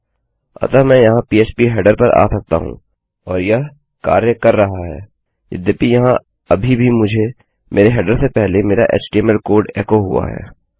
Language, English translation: Hindi, So I can come here to phpheader and it works, even though I have still got my html code echoed here before my header